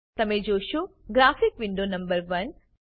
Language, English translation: Gujarati, You will see a graphic window number 1